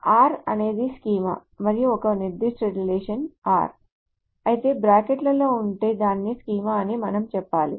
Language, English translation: Telugu, If the capital R is the schema and a particular relation is R which within brackets you have to say that schema of it